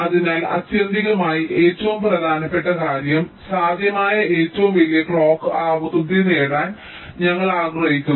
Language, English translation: Malayalam, so ultimately, the bottom line is we want to achieve the greatest possible clock frequency